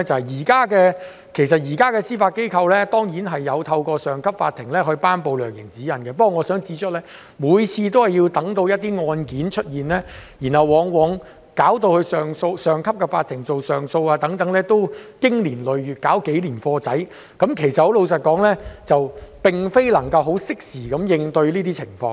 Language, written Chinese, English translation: Cantonese, 現時司法機構當然有透過上級法庭頒布量刑指引，不過我想指出的是，每次等到一些案件出現，往往交到上級法庭處理上訴，其實已是經年累月，最低限度也要花上數年時間，老實說，並非能夠適時應對這些情況。, At present of course the Judiciary will promulgate sentencing guidelines through a higher court but I wish to point out that after an appeal is taken to a higher court it will take years to complete at least it will take several years . Frankly speaking this arrangement cannot address the problem on a timely basis